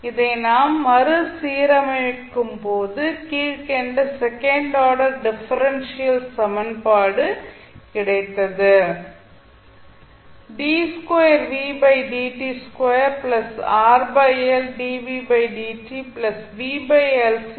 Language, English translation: Tamil, Now when we rearrange then we got the second order differential equation